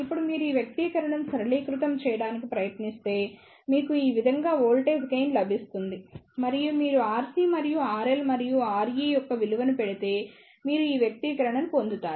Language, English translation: Telugu, And now, if you try to simplify this expression you will get the voltage gain like this and further if you put the value of R C and R L and r e, you will get the expression this